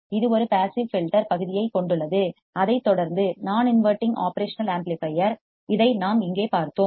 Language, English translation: Tamil, it consists simply of a passive filter section followed by a non inverting operational amplifier we have seen this here